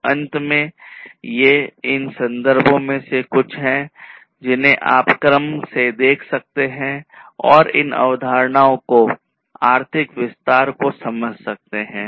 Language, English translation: Hindi, So, finally, these are some of these references that you could go through in order to understand these concepts in greater detail